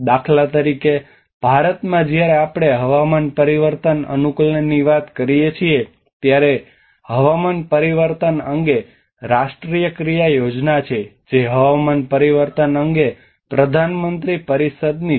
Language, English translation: Gujarati, For instance in India when we talk about climate change adaptation, there are national action plan on climate change which is from the Prime Ministers Council on climate change